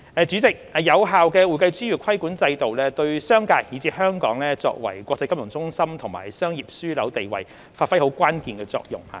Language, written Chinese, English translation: Cantonese, 主席，有效的會計專業規管制度，對商界以至香港作為國際金融中心和商業樞紐地位，發揮關鍵作用。, President an effective regulatory regime for the accounting profession is crucial for the business community and for Hong Kong as an international financial centre and business hub